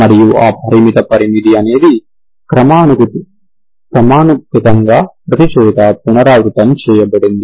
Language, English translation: Telugu, And that finite interval is whatever is defined repeated everywhere as periodically